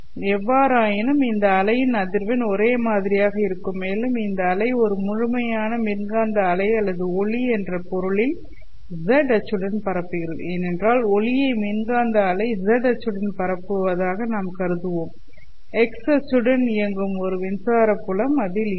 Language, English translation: Tamil, However, the frequency of this wave would be the same and this wave also would be propagating along the Z axis in the sense that a complete electromagnetic wave or light because we will consider light as electromagnetic wave will be propagating along the Z axis